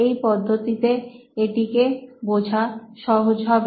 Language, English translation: Bengali, It is much easier to understand that way